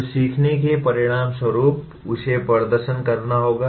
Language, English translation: Hindi, So as a consequence of learning, he has to perform